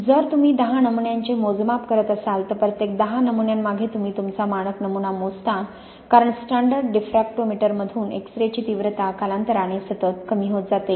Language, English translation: Marathi, If you are doing a batch of measurements of say ten samples, therefore for every ten samples you measure your standard sample because the X ray intensity from the standard diffractometer is continuously decreasing over time